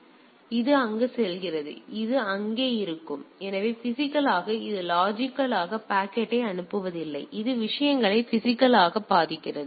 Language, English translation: Tamil, So, it goes there and it goes to be there; so it is a physically it is not logically forwarding the packet it is physically protects the things